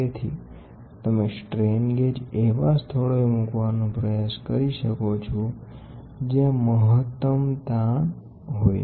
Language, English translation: Gujarati, So, you can try to place the strain gauge at the locations where there is maximum strain